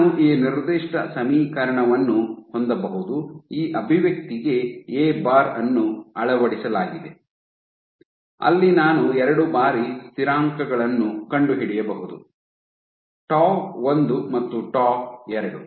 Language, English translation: Kannada, I can have this particular function A bar fitted to this expression where, I can find out two time constants; tau 1 and tau 2 is